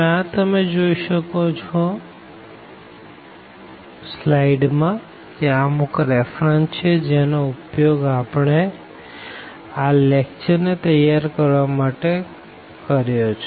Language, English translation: Gujarati, And these are the references which we have used to prepare these lectures